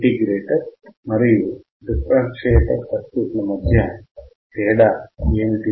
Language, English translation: Telugu, What is the difference between integrator and differentiate in terms of circuit